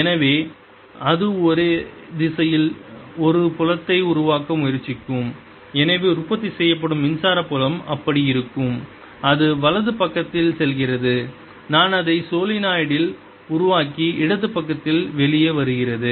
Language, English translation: Tamil, so it'll try to produce a field in the same direction and therefore the electric field produced will be such that it goes in on the right side i am making it on the solenoid and comes out on the left side